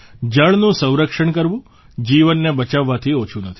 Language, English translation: Gujarati, Conserving water is no less than saving life